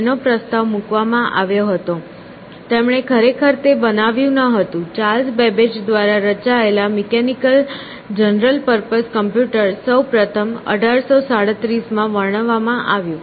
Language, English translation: Gujarati, It was a proposed, he did not actually build it, mechanical general purpose computer designed by Charles Babbage, first describe in 1837